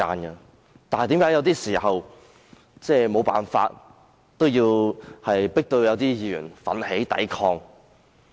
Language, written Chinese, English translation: Cantonese, 為甚麼有時候有些議員會被迫奮起抵抗？, Why were some Members forced to resist from time to time?